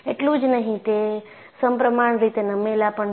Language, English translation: Gujarati, Not only that, they are tilted symmetrically